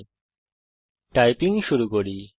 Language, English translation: Bengali, Lets start typing